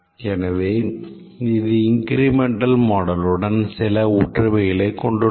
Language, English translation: Tamil, So, it is a similarity with the incremental development model